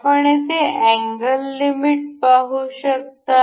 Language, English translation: Marathi, We can see here angle limits